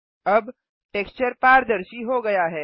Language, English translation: Hindi, Now the texture has become transparent